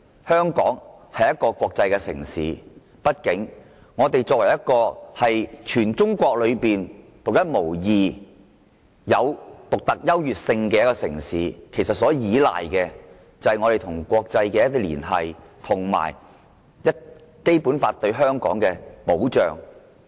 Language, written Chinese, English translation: Cantonese, 香港是一個國際城市，亦是全中國獨一無二、有其獨特優越性的城市，所依賴的是與國際社會的連繫，以及《基本法》對香港的保障。, Hong Kong is an international city and a unique city in China; its superiority comes from its connection with the international community and the protection accorded to it by the Basic Law